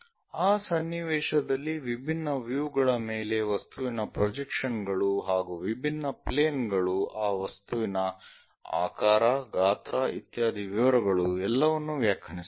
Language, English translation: Kannada, In that context projection of object on to different views, different planes defines everything about that object in terms of shape, size, under the details